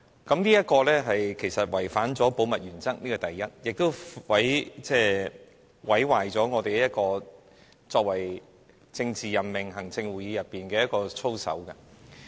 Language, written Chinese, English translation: Cantonese, 這其實違反了保密原則，這是其一，亦毀壞行政會議作為政治任命機構的操守。, This actually violates the principle of confidentiality . This is one thing . Another thing is that this will ruin the code of conduct for the Executive Council as a politically appointed institution